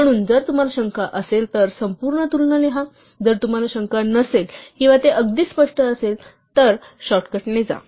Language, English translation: Marathi, So, if you are in doubt, write the full comparison; if you are not in doubt or if it is very obvious, then go with the shortcut